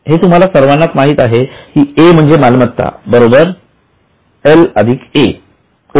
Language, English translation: Marathi, Now you all know that A, that is asset, is equal to L plus O